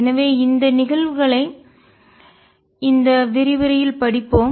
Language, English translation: Tamil, So, we will study this phenomena in this lecture